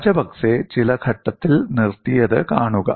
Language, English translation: Malayalam, See, Rajapakse stopped at some stage